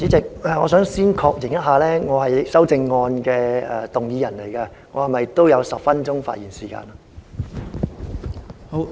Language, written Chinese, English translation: Cantonese, 代理主席，我想先確認一下。我是修正案的動議人，我是否也有10分鐘發言時間？, Deputy President I would first of all like to confirm that as a mover of an amendment should I also be given 10 minutes to speak?